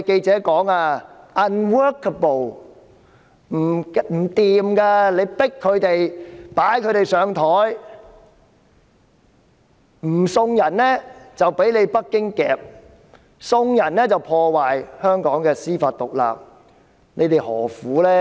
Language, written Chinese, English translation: Cantonese, 這樣強迫他們、擺他們上檯，不送人就會被北京捉拿，送人便會破壞香港的司法獨立，他們何苦呢？, They are forcing people in this manner and putting them on the spot in that they will be arrested by Beijing if they do not surrender someone or they will undermine Hong Kongs judicial independence if they permit the surrender